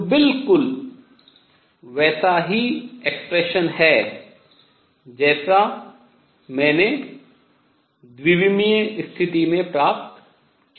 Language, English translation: Hindi, Which is exactly the same expression as I have obtained in 2 dimensional case